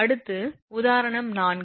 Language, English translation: Tamil, Next is example 3